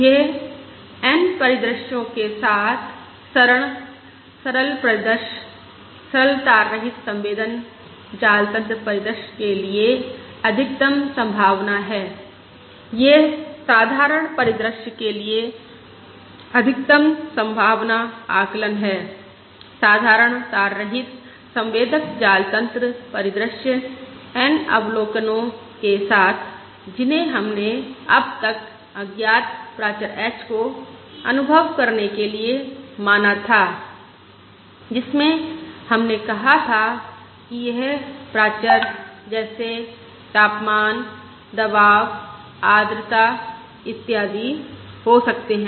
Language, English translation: Hindi, This is the Maximum Likelihood Estimate for the simple scenario, simple wireless sensor network scenario with N observations that we have considered so far, of sensing an unknown parameter h, which we said can either be the parameters such as the temperature, pressure, the humidity, et cetera